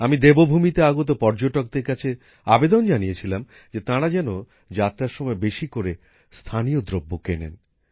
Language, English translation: Bengali, I had appealed to the tourists coming to Devbhoomi to buy as many local products as possible during their visit